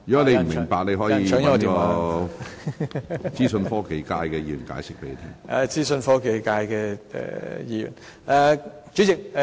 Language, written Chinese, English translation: Cantonese, 你如有不明白之處，可向代表資訊科技界別的議員查詢。, If you do not understand you can ask the Member from the Information Technology sector